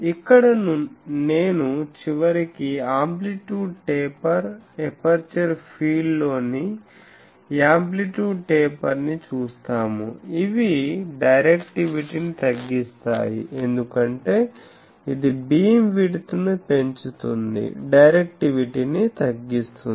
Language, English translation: Telugu, Now, here I will say that ultimately we will see that the amplitude taper what is the this that amplitude taper in the aperture field; these reduces the directivity because, this increases the beam width